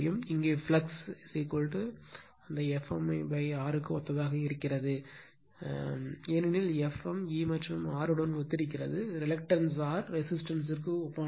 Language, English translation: Tamil, And here flux is equal to also it is analogous to that F m upon R right, because F m is analogous to E and R reluctance R is analogous to resistance